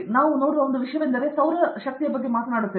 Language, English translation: Kannada, One thing that you see, the solar we were talking about, right